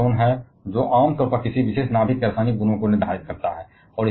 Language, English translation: Hindi, And it is the proton which it generally determines the chemical properties of any particular nucleus